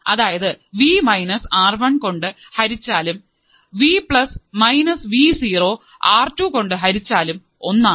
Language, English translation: Malayalam, So, Vplus would be nothing but R2 by R1 plus R2, v plus would be nothing but R2 divided by R1 plus R2 into V2 right